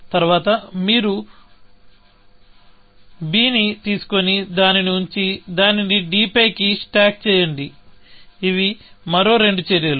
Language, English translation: Telugu, Then you pick up b, put it, stack it on to d; that is two more actions